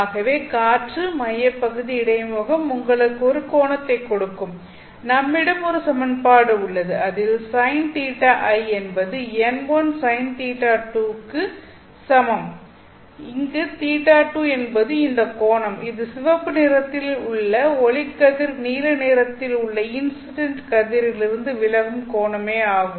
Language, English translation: Tamil, So air core interface will give you one angle, I mean one equation which is sine theta i is equal to n1 sine theta 2 where theta 2 is this angle which the ray of light, the red one is refracting from the incident blue one